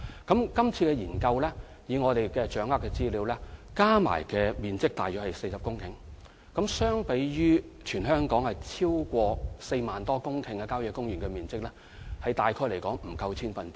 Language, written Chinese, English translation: Cantonese, 根據現時掌握的資料，今次研究所涉土地面積共約40公頃，相對於全港超過4萬公頃的郊野公園用地，面積大約不足千分之一。, According to the information at hand the study will cover a total land area of roughly 40 hectares which is just less than 0.1 % of the 40 000 hectares or so of country parks across the territory